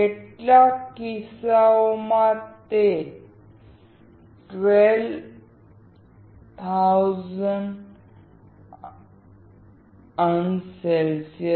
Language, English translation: Gujarati, In some cases, it goes up to 1200oC